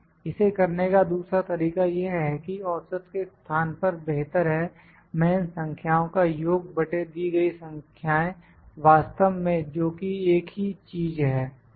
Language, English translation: Hindi, Another way to do it is in place of average I would better put this is equal to sum of these numbers divided by count of these numbers actually which is a one of the same thing